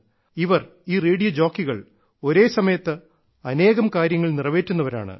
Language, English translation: Malayalam, And the radio jockeys are such that they wear multiple hats simultaneously